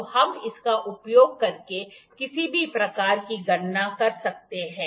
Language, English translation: Hindi, So, we can do any kind of calculations using this